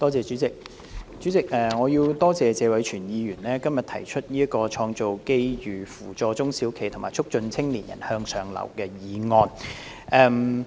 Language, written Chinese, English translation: Cantonese, 代理主席，我要多謝謝偉銓議員今天動議這項"創造機遇扶助中小型企業及促進青年人向上流動"議案。, Deputy President I have to thank Mr Tony TSE for moving this motion on Creating opportunities to assist small and medium enterprises SMEs and promoting upward mobility of young people today